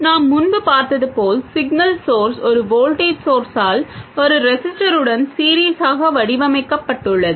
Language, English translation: Tamil, The signal source, as we have seen earlier, is modeled by a voltage source in series with a resistance